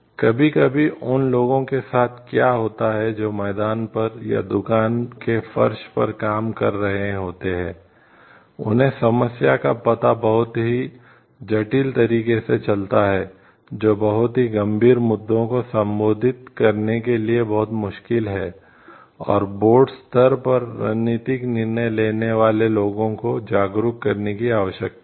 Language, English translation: Hindi, Sometimes what happens those who are operating in the field, or in the shop floor, they get to know very intricacies of the problem very nitty gritty of the issues, which needs to be conveyed to people who are taking the like maybe strategic decisions at the board level